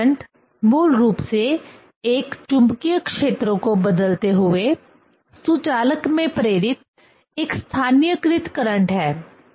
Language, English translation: Hindi, The eddy current is basically a localized current induced in a conductor by varying a magnetic field, right